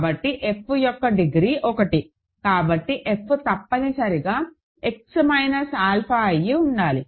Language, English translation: Telugu, So, degree of F is 1 and hence f must be X minus alpha